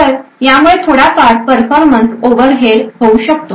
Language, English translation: Marathi, So, this could cause quite a considerable performance overhead